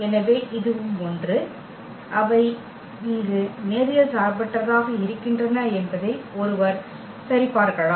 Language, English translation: Tamil, So, this one and this one, one can check where they are linearly independent